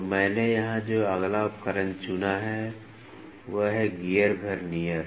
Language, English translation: Hindi, So, the next instrument I have picked here is Gear Vernier